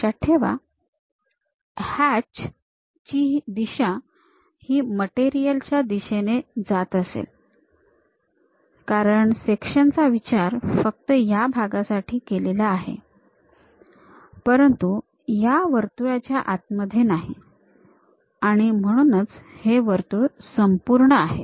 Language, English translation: Marathi, Note the hatch directions where material is present; because section is considered only here, but not inside of that circle, that is a reason circle is complete